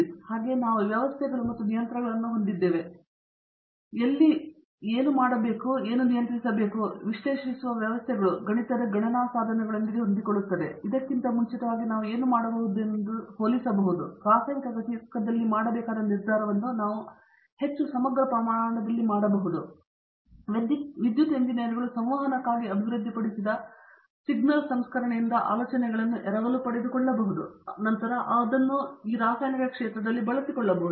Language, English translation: Kannada, And, similarly we also have systems and control where again the controls that we can do and the systems we can analyze has with our mathematical computational tools, we can do far more now compared to what we could do earlier and the decision making that we need to do in a chemical plant again we can do it in much more integrated scale, we can borrow ideas from signal processing that electrical engineers have developed for communication and then use them here